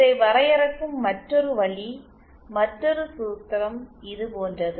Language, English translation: Tamil, The other way of defining this, another formula is like this